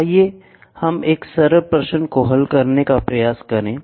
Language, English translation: Hindi, So, let us try to solve a simple question